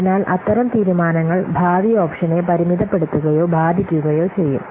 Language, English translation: Malayalam, So such decisions will limit or affect the future options